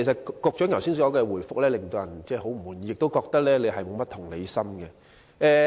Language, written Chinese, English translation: Cantonese, 局長剛才的答覆令人很不滿意，亦令人覺得他缺乏同理心。, The Secretarys reply just now is very unsatisfactory and it gives people an impression that he lacks empathy